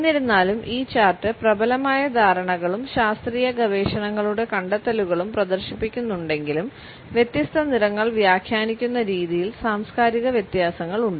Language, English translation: Malayalam, Even though this chart displays the dominant perceptions as well as findings of scientific researches, there are cultural variations in the way we interpret different colors